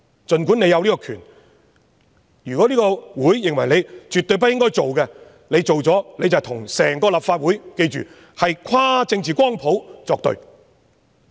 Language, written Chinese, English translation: Cantonese, 儘管政府有此權力，如果立法會認為絕對不應該做，若這樣做的話，便是跟整個立法會——大家要記得，是跨政治光譜的議員——作對。, Despite the fact that the Government is vested with this power if it does what the Legislative Council deems absolutely inappropriate to do it will be pitching itself against the entire Council which not to be forgotten means all Members across the political spectrum